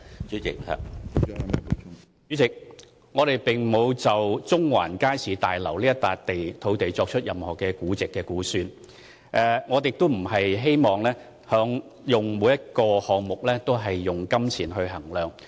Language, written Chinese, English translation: Cantonese, 主席，我們並沒有就中環街市大樓這幅土地作任何估值和估算，我們不希望所有項目均用金錢來衡量。, President we did not make any valuation or estimation on the value of the Central Market Building site . We do not want to assess all sites from the perspective of money